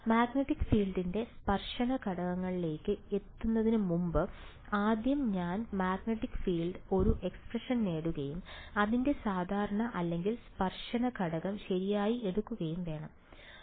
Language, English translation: Malayalam, Before I get to tangential component of the magnetic field, I should just I should first get an expression for the magnetic field and then take its normal or tangential component right